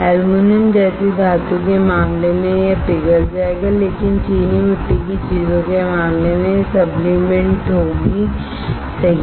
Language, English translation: Hindi, In case of metal like aluminum it will melt, but in case of ceramics it will sublimate right find what is sublimation